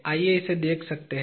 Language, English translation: Hindi, You can have a look at it